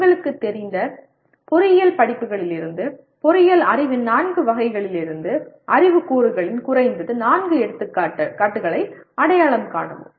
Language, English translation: Tamil, Identify at least four examples of knowledge elements from the four categories of engineering knowledge from the engineering courses you are familiar with